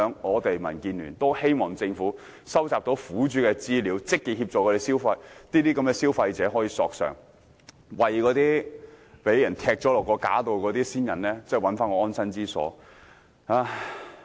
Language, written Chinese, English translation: Cantonese, 就此，民建聯希望政府可以收集苦主資料，積極協助消費者索償，為被踢下架的先人尋回安身之所。, In this connection DAB hopes that the Government can collect information of the aggrieved consumers and proactively help them obtain compensation so that the urns of their ancestors which have been compelled to be removed will be rehoused